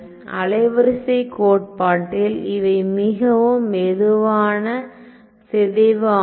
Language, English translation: Tamil, So, in wavelet theory this is a very slow decay